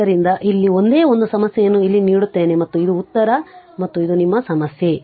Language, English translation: Kannada, So, one only one problem here I will giving here and this is the answer and this is your problem right